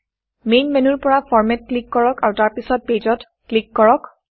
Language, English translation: Assamese, From the Main menu, click on Format and click Page